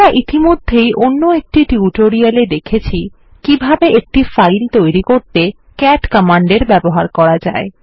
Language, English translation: Bengali, We have already seen in another tutorial how we can create a file using the cat command